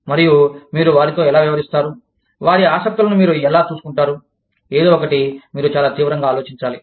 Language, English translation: Telugu, And, how do you treat them, how do you look after their interests, is something, that you need to think about, very, very seriously